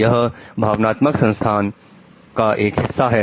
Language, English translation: Hindi, This is one part of the emotional system